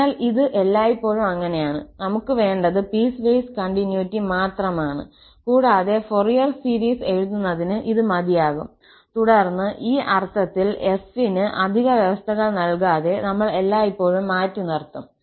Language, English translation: Malayalam, So, this is always the case, we need only piecewise continuity and it is also sufficient for writing the Fourier series and then in this sense, we have always reserved without imposing any extra condition on f